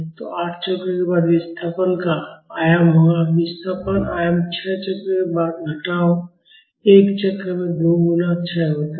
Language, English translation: Hindi, So, after 8 cycles the displacement amplitude would be; the displacement amplitude after 6 cycles minus 2 times the decay in a cycle